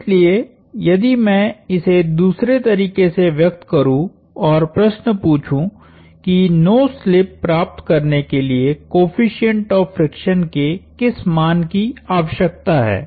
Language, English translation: Hindi, So, if I rephrase and ask the question, what value of the friction coefficient is needed to achieve no slip